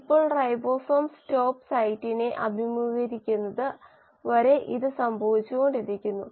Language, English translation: Malayalam, Now this keeps on happening till the ribosome encounters the stop site